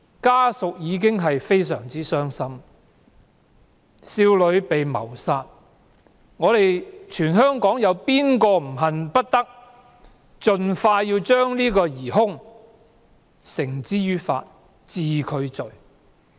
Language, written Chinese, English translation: Cantonese, 家屬對於這宗少女被謀殺的慘案已經非常傷心，香港市民誰也恨不得盡快將疑兇繩之於法，把他治罪。, As the family members of the young female murder victim in this tragic case are heartbroken every one of us in Hong Kong would wish to see the suspect being put to justice as soon as possible